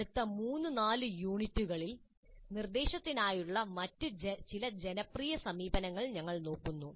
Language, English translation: Malayalam, In the next three, four units, we look at some other popular approaches to the instruction